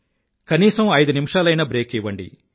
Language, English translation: Telugu, If only for five minutes, give yourself a break